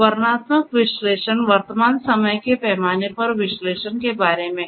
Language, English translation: Hindi, Descriptive analytics is about analysis in the current time scale